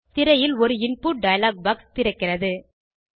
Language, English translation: Tamil, An Input dialog box opens on the screen